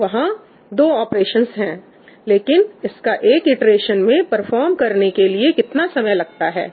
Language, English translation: Hindi, So, number of operations is two, and what is the time it takes to perform one iteration